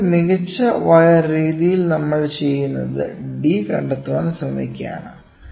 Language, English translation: Malayalam, So, in best wire method what we do is we try to find out this d